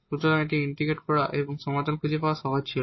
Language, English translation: Bengali, So, it was easy to integrate and find the solution